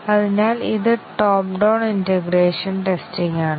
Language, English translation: Malayalam, So this is the top down integration testing